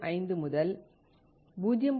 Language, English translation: Tamil, 05 to 0